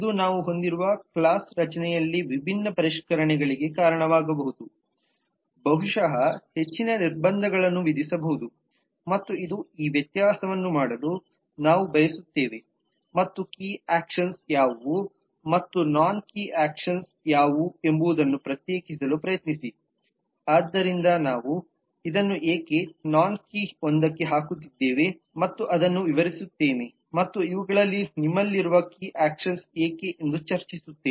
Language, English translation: Kannada, this will possibility lead to different refinements in the class structure that we have it will possibly impose more constraints and that is a reason we will like to make this distinction and try to differentiate between what are the key actions and what are the non key actions so that is i just discuss this to explain that why we are putting this in a non key one and why these are the key actions that you have